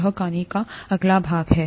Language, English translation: Hindi, That is the next part of the story